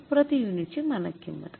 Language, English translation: Marathi, What is the standard price per unit